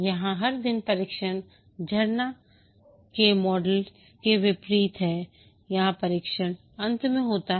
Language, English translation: Hindi, Here every day the testing takes place unlike the waterfall model where testing is at the end